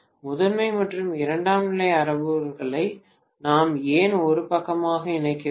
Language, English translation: Tamil, Why should we combine primary and secondary parameters to one side